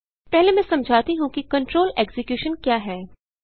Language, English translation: Hindi, Let me first explain about what is control execution